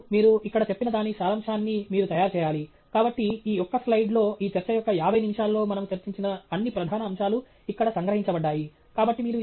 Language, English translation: Telugu, And finally, you need to make a summary which is what we have done here; so, that in this single slide all the major aspects that we discussed in the 50 minutes of this talk are all captured here